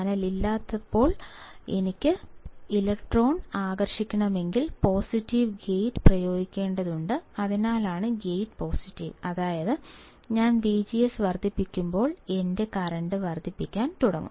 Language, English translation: Malayalam, When there is no channel, if I want to attract electron; I have to apply positive gate that is why gate is positive; that means, when I increase V G S my current will start increasing